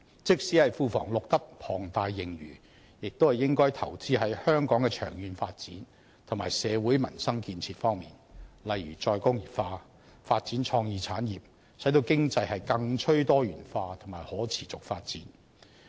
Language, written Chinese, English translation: Cantonese, 即使庫房錄得龐大盈餘，也應該投資在香港的長遠發展和社會民生建設方面，例如再工業化、發展創意產業，使經濟更趨多元化和可持續發展。, Even if the Treasury has recorded an enormous surplus it should be invested in the long - term development and social livelihood projects of Hong Kong such as re - industrialization and the development of creative industries thereby achieving a more diversified economy and sustainable development